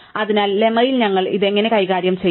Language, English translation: Malayalam, So, how do we deal with this in the lemma